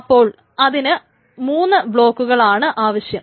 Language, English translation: Malayalam, So this will require three blocks